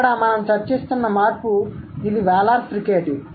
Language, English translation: Telugu, So, this is the change here that we are discussing is Wheeler fricative